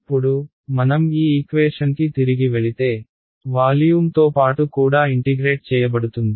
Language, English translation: Telugu, Now, if I go back to this equation, this also was going to get integrated with respect to volume right